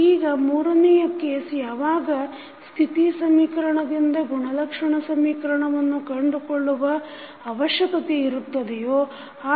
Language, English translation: Kannada, Now the third case, when you need to find out the characteristic equation from State equation